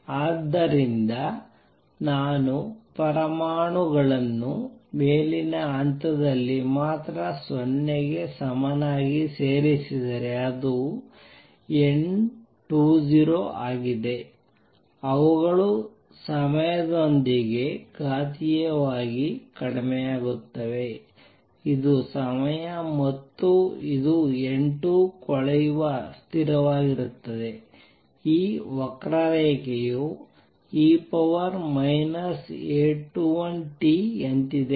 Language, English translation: Kannada, So, if I add atoms only in the upper level at time t equals to 0 this is N 2 0 they would the number would decrease with time exponentially like this this is time and this is N 2 the decay constant is this curve is like E raise to minus A 21 t